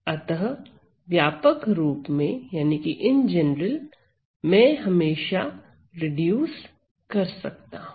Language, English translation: Hindi, So, in general, I can always reduce